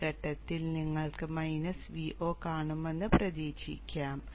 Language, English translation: Malayalam, So you can expect to see a minus V0 at this point